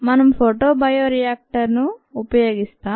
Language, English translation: Telugu, we use a photobioreactor